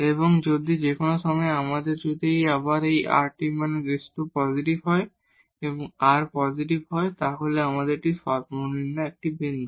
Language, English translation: Bengali, And if at a point if we have again this rt minus s square positive and r is positive, then this is a point of minimum